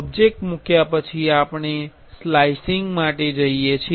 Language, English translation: Gujarati, After placing the object, we are we have to go for slicing